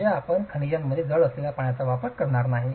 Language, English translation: Marathi, I mean, you are not going to be using water with heavy in minerals